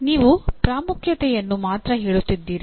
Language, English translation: Kannada, You are only stating the importance